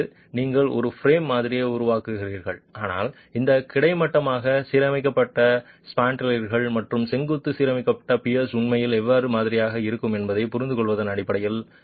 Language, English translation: Tamil, That is you make a frame model but based on the understanding of how these horizontally aligned spandrel's and vertically aligned can actually be modelled